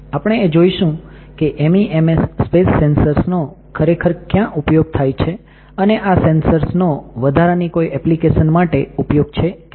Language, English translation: Gujarati, Here we will be looking at where exactly the MEMS space sensors are used and what are the additional application of those sensors